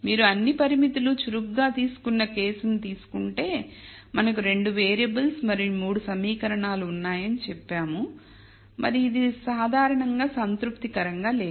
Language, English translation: Telugu, So, if you take the case one where we took all the constraints to be active we said we have 2 variables and 3 equations and that is not satis able in general